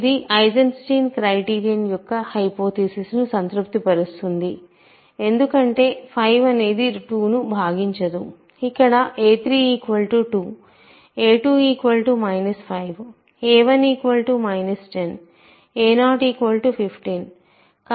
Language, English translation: Telugu, So, it satisfies the hypothesis of the Eisenstein criterion because 5 does not divide 2, a 3 here is 2, right a 3 is 2, a 2 is minus 5, a 1 is minus 10 a 0 is 15